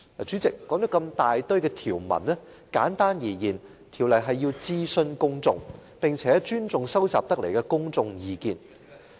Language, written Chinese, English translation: Cantonese, 主席，這麼多條文寫明要諮詢公眾，並且尊重收集得來的公眾意見。, President a number of provisions specify the need to consult the public and respect the public opinions collected